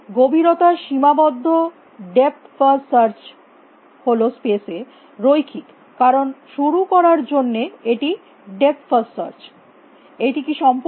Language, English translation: Bengali, Depth bounded depth first search it is linear in space why because, it is depth first search to start with its complete